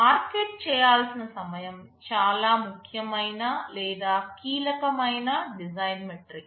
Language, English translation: Telugu, Time to market is a very important or crucial design metric